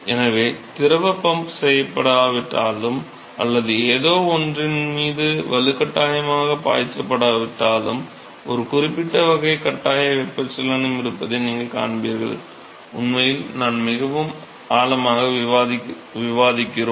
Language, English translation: Tamil, So, we will see that although the fluid is not being pumped or it is not being forcefully made to flow over something, that you will see that there is a certain type of forced convection which is involved and we are actually discussed very deeply when we go to that topic ok